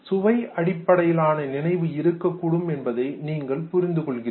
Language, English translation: Tamil, Then you realize that there could be a taste based memory also